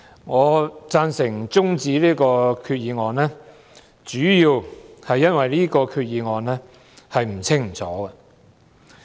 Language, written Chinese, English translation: Cantonese, 我贊成中止這項決議案的辯論，主要因為這項決議案不清不楚。, I agree with adjourning the debate on this proposed resolution mainly because the Resolution is unclear